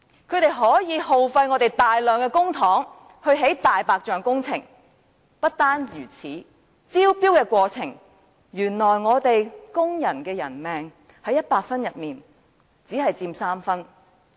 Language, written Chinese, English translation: Cantonese, 他們耗費大量公帑，興建"大白象"工程；不單如此，原來根據招標的評分準則，工人的生命在100分之中只佔3分！, They expend a large sum of public money on white elephant projects . According to the marking criteria of the tendering exercise the life of workers surprisingly only takes up 3 points out of 100 in total!